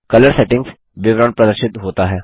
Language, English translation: Hindi, The Color Settings details appears